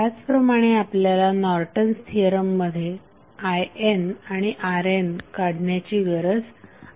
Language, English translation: Marathi, Similarly in Norton's Theorem also what we need to find out is I N and R N